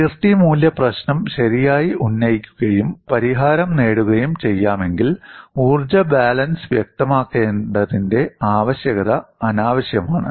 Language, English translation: Malayalam, The other observation was if the boundary value problem is properly posed and solution could be obtained, the need for specification of an energy balance is redundant